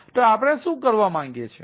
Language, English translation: Gujarati, so what do you want to do